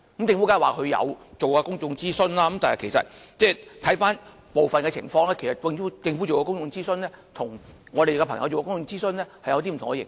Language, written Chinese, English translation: Cantonese, 政府當然說曾做公眾諮詢，但回顧以往的情況，政府進行的公眾諮詢與我們做的是不同的形式。, Surely the Government will say that it did consult the public before but comparing the consultation done by them in the past one can see the difference between the one conducted by us